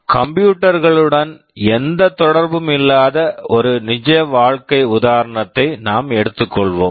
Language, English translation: Tamil, We take a real life example, which has nothing to do with computers